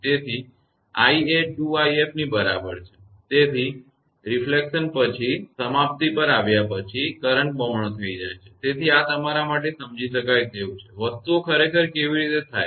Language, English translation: Gujarati, So, i is equal to 2 i f, so current has becomes doubled after arrival at termination, after reflection; so this is understandable to you that how things actually happen